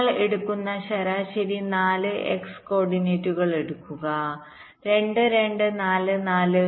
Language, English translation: Malayalam, take the average, you take the four x coordinates: two, two, four, four